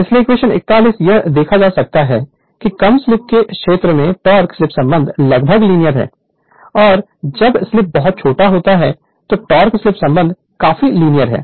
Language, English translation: Hindi, So, equation 41 it can be observed that the torque slip relationship is nearly linear in the region of low slip and when slip is very small then torque slip relationship is quite your linear right